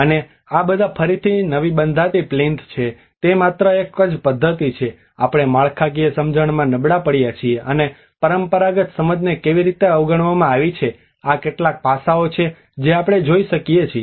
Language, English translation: Gujarati, And these are all again the new constructed plinths and whether is it the only method we have going aback with the structural understanding or how the traditional understanding has been overlooked, these are some aspects we can look at